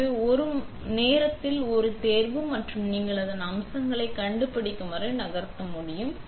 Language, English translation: Tamil, So, you can select one at a time and move around till you find your features